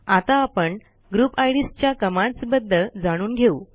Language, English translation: Marathi, Let us now learn the commands for Group IDs